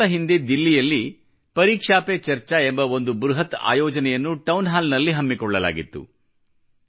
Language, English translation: Kannada, A few weeks ago, an immense event entitled 'ParikshaPeCharcha' was organised in Delhi in the format of a Town Hall programme